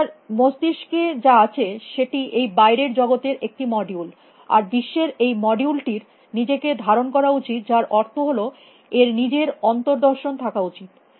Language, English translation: Bengali, And what is in the head of the agent is the module of the world out there, and the module of the world should contain itself which means it can introspect on itself